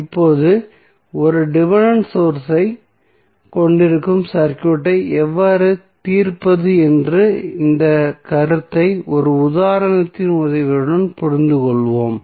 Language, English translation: Tamil, Now, let us understand this concept of how to solve the circuit when we have the dependent source with the help of one example